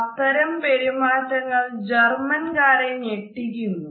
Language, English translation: Malayalam, The Germans find such behaviors alarming